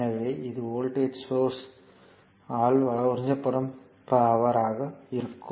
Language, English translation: Tamil, So, it will be power absorbed by the voltage source